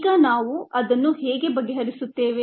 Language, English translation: Kannada, now how do we go about it